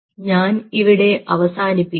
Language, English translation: Malayalam, so i will close in here